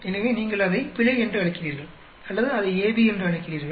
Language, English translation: Tamil, So, either you call it error or you call it AB